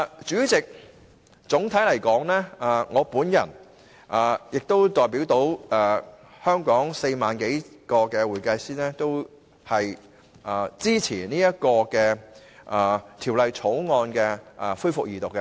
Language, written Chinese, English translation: Cantonese, 主席，總的來說，我和所代表的全港4萬多名會計師均支持《條例草案》恢復二讀。, President all in all over 40 000 accountants in Hong Kong I represent and myself support the resumption of Second Reading of the Bill